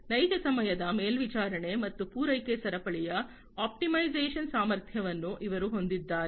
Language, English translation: Kannada, And they have the capability of real time monitoring and optimization of the supply chain